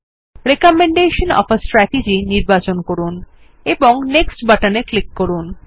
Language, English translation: Bengali, Select Recommendation of a strategy and click on the Next button